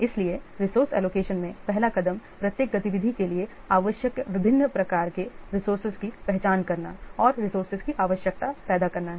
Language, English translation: Hindi, So the first step in resource allocation is identify the different types of resources needed for each activity and create a resource requirement